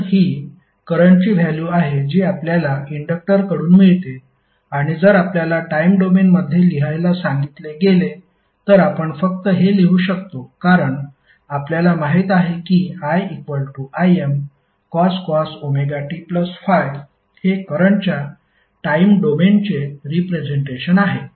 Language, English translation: Marathi, So, that would be the current value which we get from the inductor and if you are asked to write in the time domain, you can simply write as since we know that I is equal to Im cos Omega t plus Phi is the time domain representation of the current